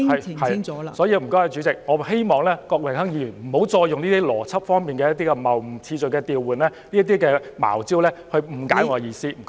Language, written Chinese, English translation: Cantonese, 因此，代理主席，我希望郭榮鏗議員不要再透過邏輯謬誤、次序調換等"茅招"誤解我的意思。, Hence Deputy President I hope Mr Dennis KWOK will refrain from misinterpreting my meaning using such underhand tactics as creating logical fallacies and reversing the order of words